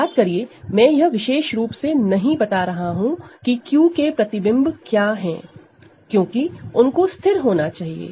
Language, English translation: Hindi, Remember I am not specifying what images of Q are, because they are supposed to be fixed